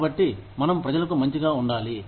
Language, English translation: Telugu, So, we need to be nice, to people